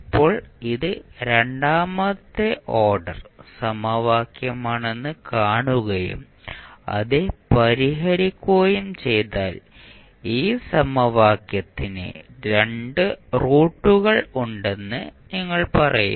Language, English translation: Malayalam, Now, if you see this is second order equation solve you will say there will be 2 roots of this equation